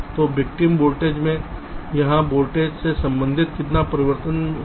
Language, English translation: Hindi, so how much will be the corresponding change in the victim volt here, the voltage here